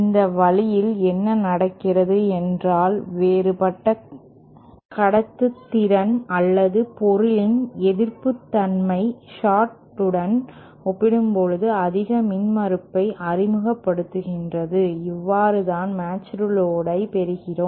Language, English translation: Tamil, And this way what happens is that the different conductivity or the resistivity of the material introduces high impedance as compared to the short and that is how you get this, get that matched load